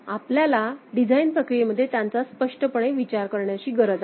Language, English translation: Marathi, We need to explicitly consider them in the design process right